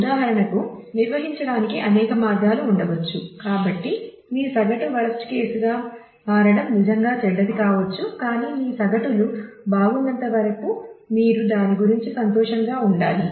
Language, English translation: Telugu, For example there could be several ways to organize; so, that your average become your worst case may be really really bad, but as long as your averages is very good you should be happy about it